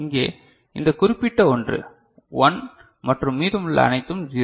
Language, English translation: Tamil, Here, this particular one is 1 and rest all are 0 ok